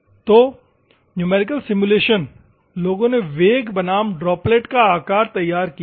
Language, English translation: Hindi, So, numerical simulation, the people they have done velocity versus droplet size